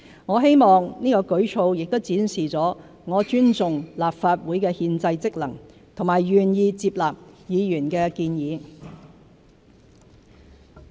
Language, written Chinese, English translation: Cantonese, 我希望此舉措亦展示了我尊重立法會的憲制職能和願意接納議員的建議。, I hope that this move can demonstrate my respect for the constitutional functions of the Legislative Council and my willingness to accept the proposals of Members